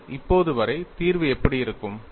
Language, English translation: Tamil, sSee as of now, how does the solution look like